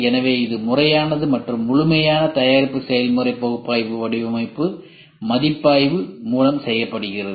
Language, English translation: Tamil, So, it is systematic and thorough product process analysis is done by the design review